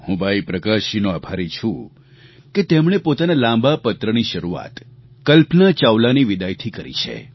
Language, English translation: Gujarati, I am thankful to Bhai Prakash ji for beginning his long letter with the sad departure of Kalpana Chawla